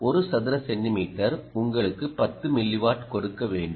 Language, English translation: Tamil, centimeter should give you ten milliwatt